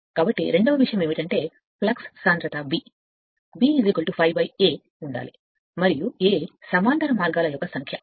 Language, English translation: Telugu, So, second thing is the flux density b should B is equal to phi upon small a right and your A is the number of parallel path right